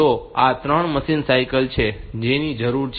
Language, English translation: Gujarati, So, so this is 3 machine cycle that are needed